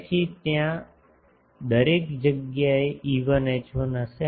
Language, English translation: Gujarati, So, everywhere there will be E1 H1s